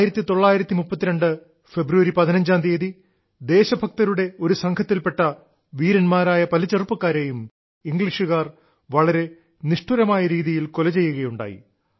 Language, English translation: Malayalam, On 15th of February 1932, the Britishers had mercilessly killed several of a group of brave young patriots